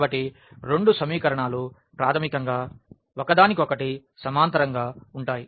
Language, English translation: Telugu, So, both the equations are basically parallel to each other